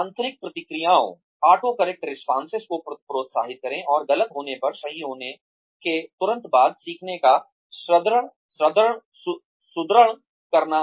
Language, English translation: Hindi, Reinforce learning, by encouraging autocorrect responses, and correcting the incorrect ones, immediately after occurrence